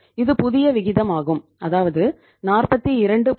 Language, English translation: Tamil, This is the new ratio that is the 42